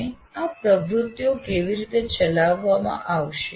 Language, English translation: Gujarati, And how these activities are going to be executed